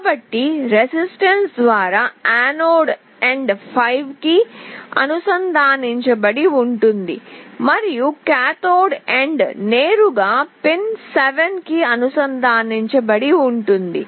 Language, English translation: Telugu, So, the anode end through a resistance is connected to 5V, and the cathode end is directly connected to pin 7